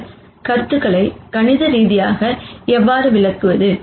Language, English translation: Tamil, So, how do we explain these concepts mathematically